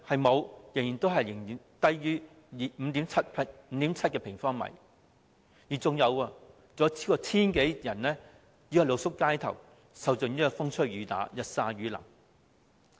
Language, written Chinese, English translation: Cantonese, 沒有，仍然只有 5.7 平方米，更有超過 1,000 人露宿街頭，受盡風吹雨打，日曬雨淋。, No it is still 5.7 sq m only . Also more than 1 000 people sleep in the streets suffering from the torture of the elements